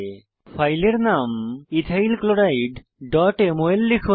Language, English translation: Bengali, Click below Ethyl Chloride